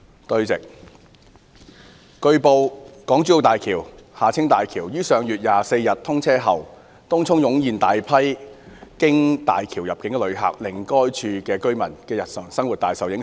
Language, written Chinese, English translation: Cantonese, 主席，據報，港珠澳大橋於上月24日通車後，東涌湧現大批經大橋入境的遊客，令該處居民的日常生活大受影響。, President it has been reported that upon the Hong Kong - Zhuhai - Macao Bridge HZMB opening to traffic on the 24 of last month a large number of tourists entering the territory via HZMB have flocked to Tung Chung and the daily lives of the residents there have been greatly affected as a result